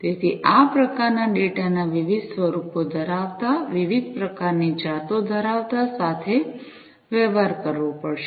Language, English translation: Gujarati, So, this kind of variety of data having different forms, of having different types of varieties, will have to be dealt with